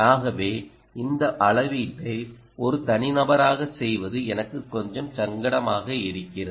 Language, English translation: Tamil, so it's a little uncomfortable for me to make this measurement as a single person, but i will still try